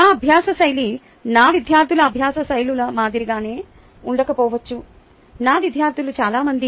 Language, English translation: Telugu, ok, my learning style may not be the same as the learning styles of my students many of my students